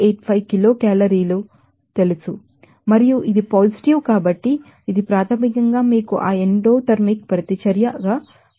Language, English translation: Telugu, 85 kilo calorie per gram mole and it is a positive so, it is basically you know that endothermic reaction